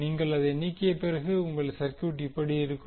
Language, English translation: Tamil, When, you remove you get the circuit like this